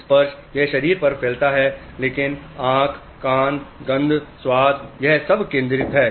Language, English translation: Hindi, Touch is spread throughout the body but eyes, ears, smell, taste, everything is concentrated